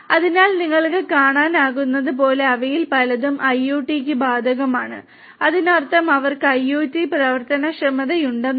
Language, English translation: Malayalam, So, many of them as you can see are applicable for IoT; that means they have IoT enablement